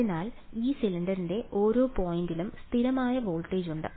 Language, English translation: Malayalam, So, every point on this cylinder has constant voltage